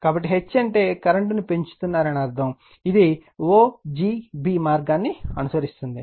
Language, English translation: Telugu, So, H will what you call if H means you are increase the current right then this one we will follow the path o g b right